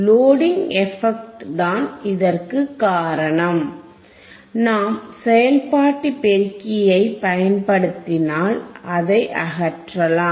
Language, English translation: Tamil, Since, loading effect, which we can remove if we use the operational amplifier if we use the operational amplifier that